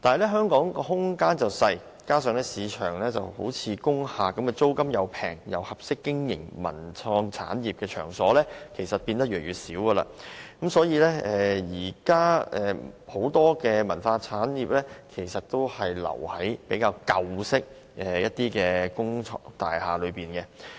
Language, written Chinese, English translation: Cantonese, 但香港空間狹小，加上在市場上租金相宜又適合經營文創產業的場所越來越少，所以很多文化產業至今仍然停留在舊式工廈中。, Due to the limited space in Hong Kong and the sinking number of affordable venues which are suitable for cultural and creative industries many cultural industries continue to operate in old industrial buildings